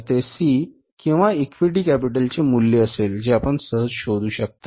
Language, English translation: Marathi, So that will be the value of the C or the equity capital you can easily find out